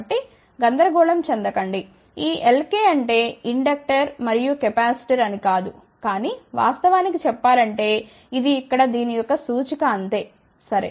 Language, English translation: Telugu, So, do not get confused this L k dash does not mean inductor and capacitor , but actually speaking this is simply representation of this over here ok